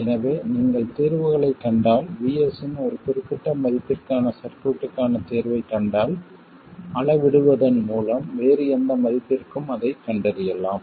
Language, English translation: Tamil, So, if you find solutions, if you find the solution to the circuit for one particular value of VS, you can find it for any other value simply by scaling